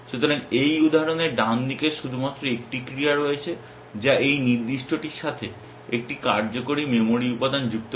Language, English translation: Bengali, So, in this example the right hand side has only one action which is to add one working memory element with this particular this one